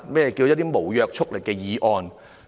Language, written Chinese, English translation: Cantonese, 何謂無約束力的議案？, What is a non - binding motion?